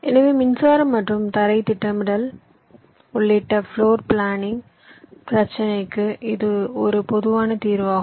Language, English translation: Tamil, so this is a typical solution to the floor planning problem, including power and ground planning